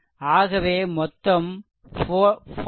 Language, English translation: Tamil, So, total is 40